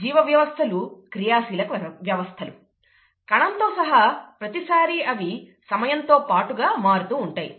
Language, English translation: Telugu, Biological systems are dynamic systems, including the cell, they change with time all the all the time